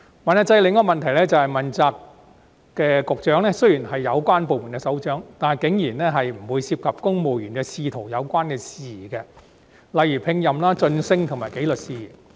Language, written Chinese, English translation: Cantonese, 問責制的另一個問題，是問責局長雖然是有關部門的首長，但竟然不會涉及公務員仕途的有關事宜，例如聘任、晉升及紀律事宜。, Another problem with the accountability system is that while an accountability Bureau Director is the head of a relevant Policy Bureau he nonetheless will not get involved in the personnel and career arrangements of civil servants such as employment promotion and disciplinary matters